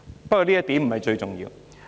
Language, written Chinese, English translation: Cantonese, 不過，這點不是最重要。, However this is not the most important point